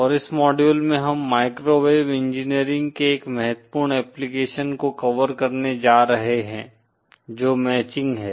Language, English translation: Hindi, And in this module we are going to cover an important application of microwave engineering, which is matching